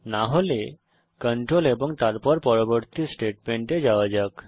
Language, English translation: Bengali, If not, the control then jumps on to the next statement